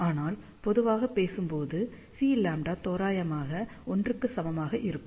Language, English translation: Tamil, But, generally speaking C lambda is going to be approximately equal to 1